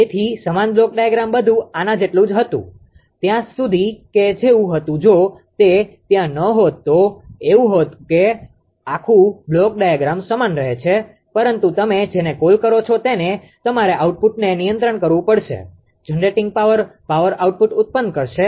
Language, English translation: Gujarati, So, same block diagram everything is same up to this as it was, up to this as it was if it is not there it was like that whole block diagram will same, but you have to what you call you have to control the output of the generating power, generating power output